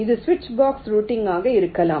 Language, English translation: Tamil, this can be a switch box routing